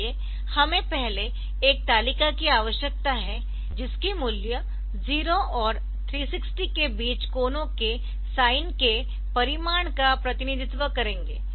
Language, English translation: Hindi, So, we first need a table whose values will represent the magnitude of the sine of angles between 0 and 360